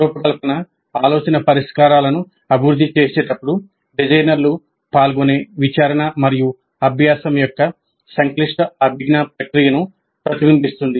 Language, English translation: Telugu, Design thinking reflects the complex cognitive process of inquiry and learning that designers engage in while developing the solutions